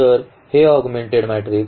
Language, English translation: Marathi, So, this augmented matrix